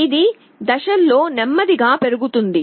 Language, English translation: Telugu, It will also increase slowly in steps